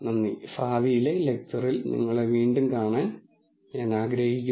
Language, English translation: Malayalam, Thank you and I look forward to seeing you again in a future lecture